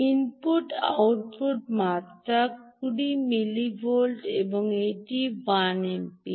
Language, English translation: Bengali, the input output is just two hundred milli volts and its one amp